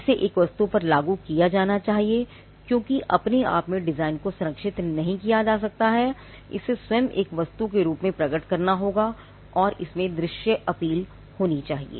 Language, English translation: Hindi, It should be applied to an article, because the design in itself cannot be protected, it has to manifest itself in an article and it should have visual appeal